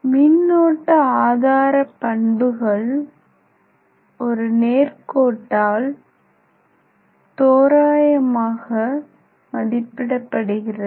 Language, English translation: Tamil, Here the power source characteristics is approximated by a straight line